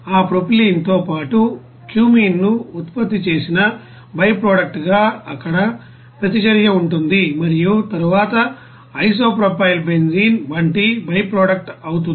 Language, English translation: Telugu, And as a byproduct there again that produced cumene along with that you know propylene there will be a reaction and then byproduct like isopropyl benzene will be you know produced